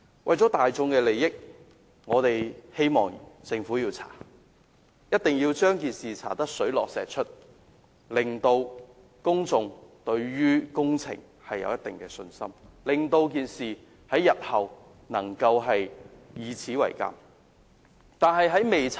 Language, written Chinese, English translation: Cantonese, 為了大眾的利益，我希望政府進行調查，一定要將事情查個水落石出，令公眾能對工程回復一定信心，事件日後亦可供鑒戒。, For the sake of public interest I hope that the Government will conduct an inquiry to uncover the truth and restore public confidence in this works project . This incident may also become a lesson to be learned